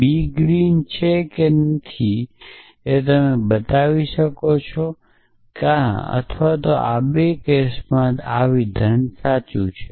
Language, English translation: Gujarati, not green you can show that in either or the 2 cases this statement is true